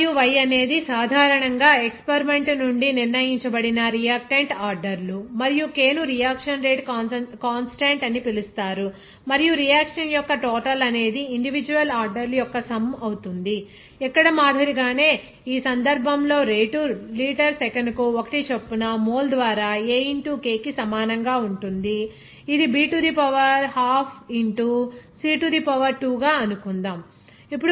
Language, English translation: Telugu, Here x and y are the reactant orders that is determined generally from the experiment and k is called reaction rate constant and overall order of reaction is the sum of the individual orders, here like here in this case rate in 1 by mole per litre second that will be equal to k into A suppose B to the power half into C to the power 2